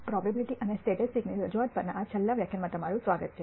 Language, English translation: Gujarati, Welcome to this last lecture on Introduction to Probability and Statistics